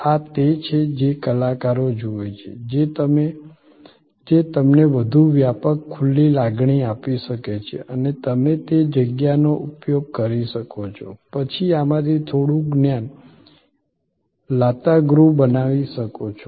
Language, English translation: Gujarati, This is that artists view, which can therefore, be give you a much more wide open feeling and you could use that space, then create some of this knowledge kiosk so on